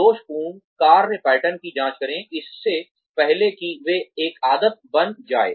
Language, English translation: Hindi, Check faulty work patterns, before they become a habit